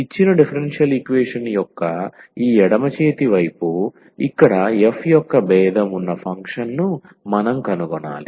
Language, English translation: Telugu, We need to find the function f whose differential is here this left hand side of the given differential equation